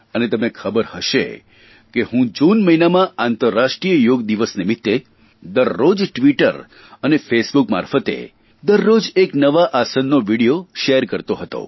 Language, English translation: Gujarati, And you probably know that, during the month of June, in view of the International Yoga Day, I used to share a video everyday of one particular asana of Yoga through Twitter and Face Book